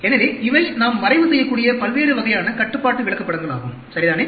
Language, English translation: Tamil, So, these are various types of control charts which we can plot, ok